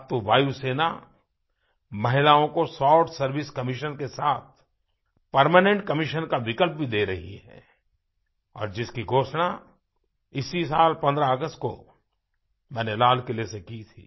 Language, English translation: Hindi, Now, the Air Force is offering the option of Permanent Commission to Women besides the Short Service Commission, which I had announced on the 15th of August this year from the Red Fort